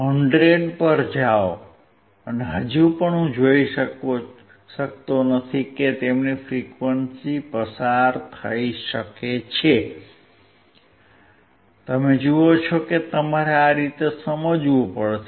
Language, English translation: Gujarati, Go to 100 and still I cannot see their frequency can be passed, you see you have to understand in this way